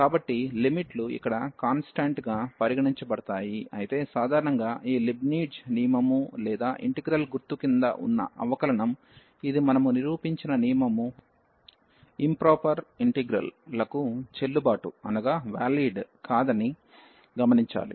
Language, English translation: Telugu, So, the limits will be treated as a constant here though one should note that in general this Leibnitz rule or the differentiation under integral sign, which the rule we have proved that is not valid for improper integrals